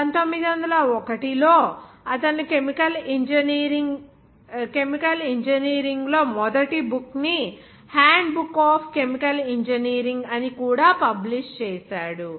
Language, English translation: Telugu, And in 1901, he also published the first book in chemical engineering that is called “Handbook of Chemical Engineering